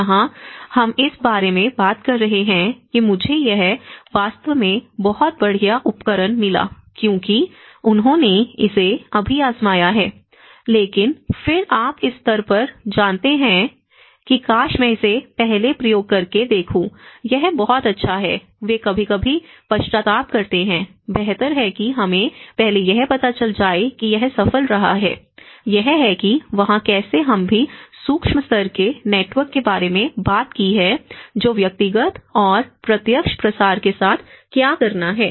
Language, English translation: Hindi, Here, we are talking about I found this really awesome tool because they will just tried it but then you know at this stage I wish I do try it using this earlier, it is great so you know, they sometimes repent, better we have not tried it before it has been a successful you know, so like that these laggards, this is how there is also we talked about the micro level network which has to do with the personal and direct diffusions